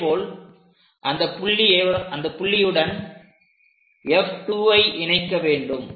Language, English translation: Tamil, Similarly, join this R with focus F 2